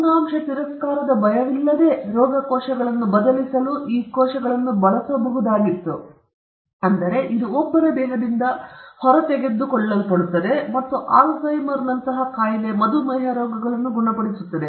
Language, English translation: Kannada, And these cells could then be used to replace diseased tissue with no fear of organ rejection, because it is extracted from oneÕs own body and cure diseases such as AlzheimerÕs disease and diabetes